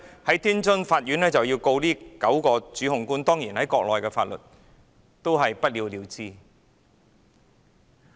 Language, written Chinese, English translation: Cantonese, 天津法院其後控告這9名主控官，但當然按照國內的法律，最後也是不了了之。, The Tianjin Court then prosecuted those nine accused . Eventually of course it ended up with nothing under the Mainland laws